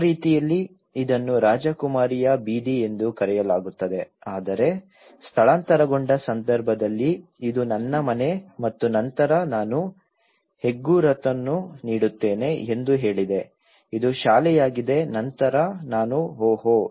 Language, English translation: Kannada, So in that way, this is called a princess street but in relocated context, this is my house and then I said I give a landmark this is the school then I said oh